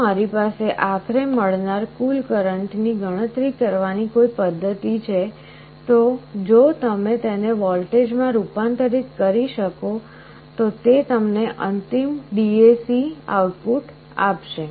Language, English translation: Gujarati, If I have a mechanism to calculate the total current that is finally coming out, then that will give you a final DAC output, if you can convert it into a voltage